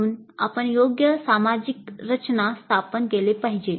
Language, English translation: Marathi, So we must establish proper social structure